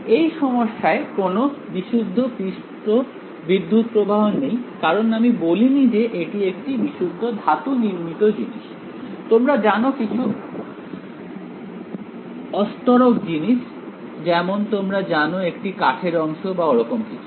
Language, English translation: Bengali, In this problem, there are no pure surface currents, because I did not say that it was a pure metallic object you know some dielectric object right like, you know like piece of wood or whatever right